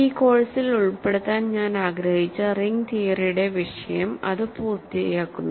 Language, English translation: Malayalam, So, that completes the topic of ring theory that I wanted to cover in this course